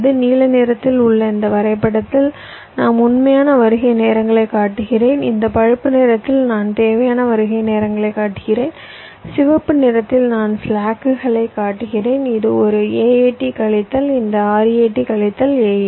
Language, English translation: Tamil, in this diagram, in blue i am showing the actual arrival times, in this brown i am showing the required arrival times and in red i am showing the slacks: this a, a a t minus this r, a t minus a a t